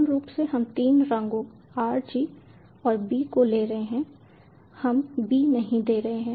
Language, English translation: Hindi, basically we are taking three colors: r, g and b